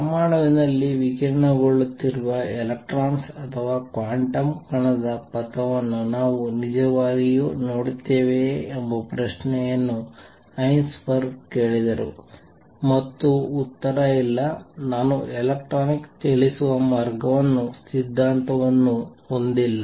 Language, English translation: Kannada, Heisenberg asked the question do we really see the trajectory of an electron or a quantum particle which is radiating in an atom, and the answer is no I do not theory no which way the electronic moving